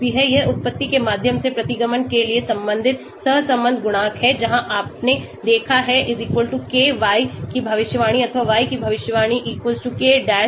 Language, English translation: Hindi, These are corresponding correlation coefficients for the regression through the origin where you have i observed=k yi predicted or yi predicted=k dash yi observed